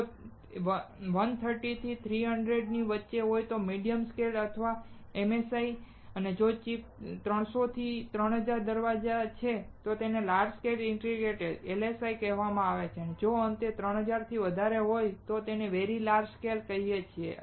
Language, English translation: Gujarati, If it is 130 to 300, it is medium scale integration or MSI, if it is 300 to 3000 gates per chip, it is called large scale integration or LSI and finally, if it is more than 3000, then we call it very large scale integration